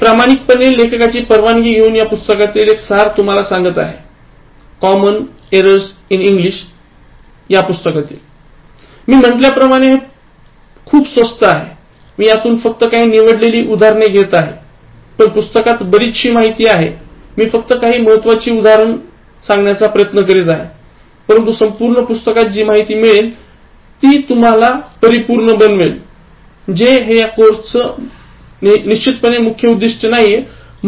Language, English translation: Marathi, From the book, I have been quoting profusely by taking permission from the author; Common Errors in English is the book and as I said it is very cheap, I am just getting selected examples but there is plenty in the book and then I am just trying to highlight the most important one, but just working out the entire book will make you much better, which like is not the main objective of the course